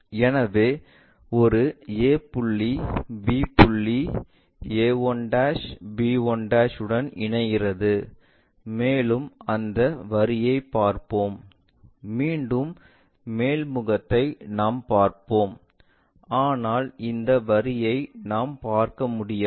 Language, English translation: Tamil, So, a point b points maps to this a 1' b 1' and we will see that line and again top face we will see that, but this line we cannot really see